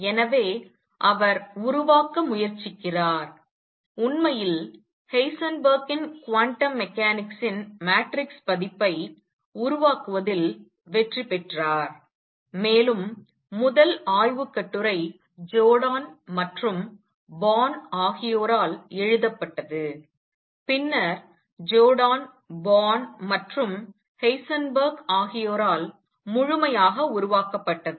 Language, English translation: Tamil, So, he tries to develop and in fact, became successful in developing the matrix version of Heisenberg’s quantum mechanics and first paper was written on this by Jordan and Born and later developed fully by Jordan, Born and Heisenberg himself